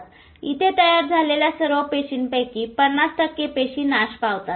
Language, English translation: Marathi, So out of all the cells which are formed, 50% of them die